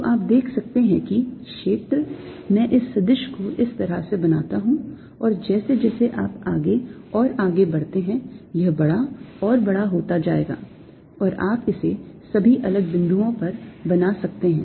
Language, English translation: Hindi, so you can see that the field is i make this vector is like this, and as you go farther and farther out, it's going to be bigger and bigger, alright